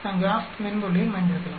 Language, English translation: Tamil, We can also use the graph pad software